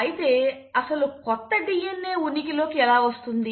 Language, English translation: Telugu, But how does a new DNA come into existence